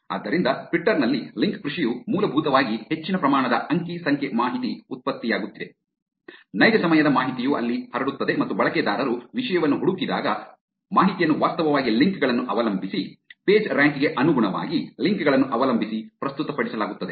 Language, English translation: Kannada, So, while link farming in twitter is basically a large amount of data is getting generated, real time information is spread there and when users search for topic, the information is actually presented depending on the links, depending on the Pagerank, depending on the links that follow a rank depending on the links that users are